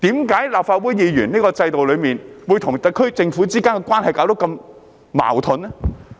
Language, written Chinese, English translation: Cantonese, 為何立法會議員在這個制度中會與特區政府之間的關係會如此矛盾呢？, Why would Members of the Legislative Council and the SAR Government be caught in this conflicting relationship under the system?